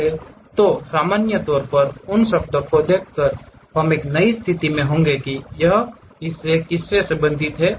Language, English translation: Hindi, But in general, by looking at those words we will be in new position to really sense which part it really belongs to